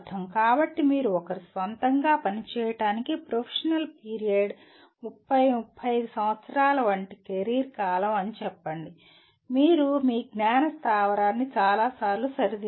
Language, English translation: Telugu, So for you to work in one’s own let us say professional period, career period like 30 35 years, you may have to overhaul your knowledge base many times